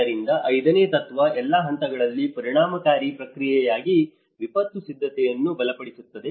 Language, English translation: Kannada, So, the fifth principle, strengthen disaster preparedness for effective response at all levels